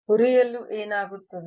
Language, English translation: Kannada, what happens in frying